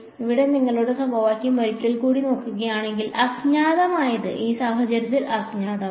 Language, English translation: Malayalam, If you look at your equation over here once more the unknown, in this case the unknown is rho